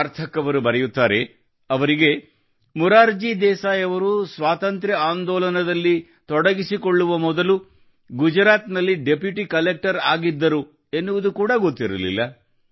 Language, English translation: Kannada, Sarthak ji has written that he did not even know that Morarji Bhai Desai was Deputy Collector in Gujarat before joining the freedom struggle